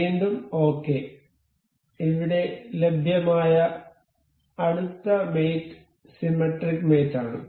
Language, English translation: Malayalam, Ok again so, the next mate available is here is symmetric mate